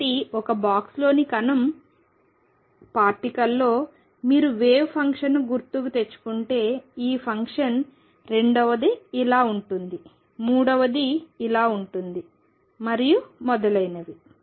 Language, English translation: Telugu, So, in the particle in a box if you recall wave function is this function second one is like this, third one is like this and so on